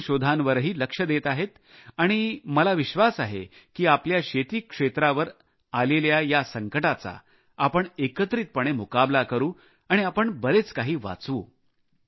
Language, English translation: Marathi, And attention is being paid to new inventions, and I am sure that together not only will we be able to battle out this crisis that is looming on our agricultural sector, but also manage to salvage our crops